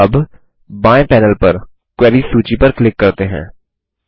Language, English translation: Hindi, Now, let us click on the Queries list on the left panel